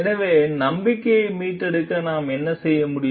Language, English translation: Tamil, So, what can we do like to restore trust